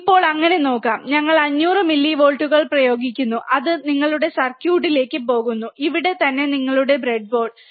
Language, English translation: Malayalam, Let see so now, we apply 500 millivolts, it goes to your circuit, right which is, right over here which is your breadboard